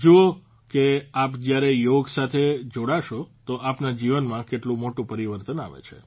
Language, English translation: Gujarati, See, when you join yoga, what a big change will come in your life